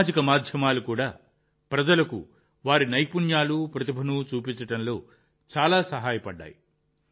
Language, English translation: Telugu, Social media has also helped a lot in showcasing people's skills and talents